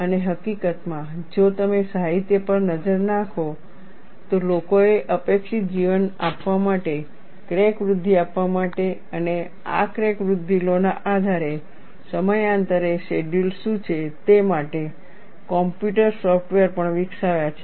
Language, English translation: Gujarati, And in fact, if you look at the literature, people have also developed computer software to give the expected life, to give the crack growth and what are the periodic NDT schedules based on these crack growth laws